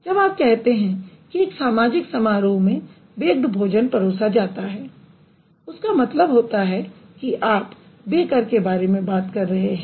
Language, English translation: Hindi, So, when you say a social gathering at which baked food is served, that means you are referring to a baker